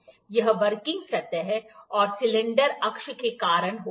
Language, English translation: Hindi, Like this is caused by the working surface and the cylinder axis